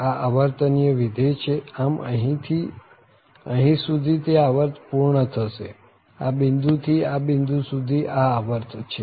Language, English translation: Gujarati, So, it is a periodic function so from here to here that period ends this point to this point there is a period